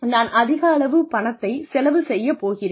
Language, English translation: Tamil, I am going to spend, so much money